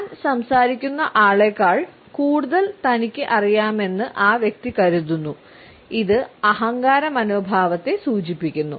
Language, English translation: Malayalam, It shows that the person thinks that he knows more than people he is talking to and it also shows arrogant attitude